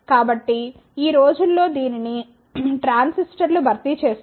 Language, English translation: Telugu, So, nowadays this is replaced by transistors